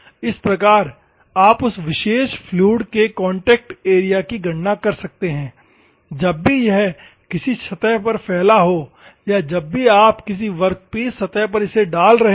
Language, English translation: Hindi, This is how you can calculate the area contact area of that particular fluid whenever it is spread on a surface or whenever you are putting on a workpiece surface